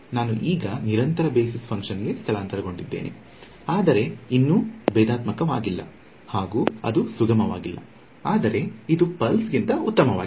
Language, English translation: Kannada, So, I have now moved to a continuous basis function, but still not differentiable right it is not smooth, but it is it is better than pulse